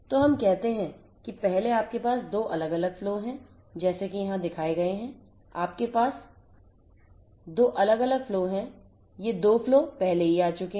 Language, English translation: Hindi, So, let us say that first you have 2 different flows like the ones that are shown over here, you have 2 different flows; you have 2 different flows like the ones let us say that these 2 flows have already come in